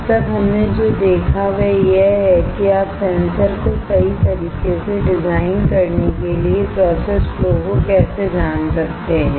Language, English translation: Hindi, What we have seen until now is how you can quickly know the process flow for designing a sensor right